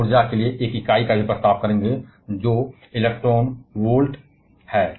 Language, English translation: Hindi, We shall also be proposing an unit for energy which is electron volt